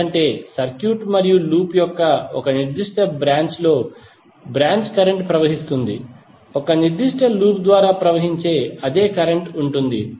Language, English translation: Telugu, Because branch current flows in a particular branch of the circuit and loop will be same current flowing through a particular loop which we have just saw in the particular case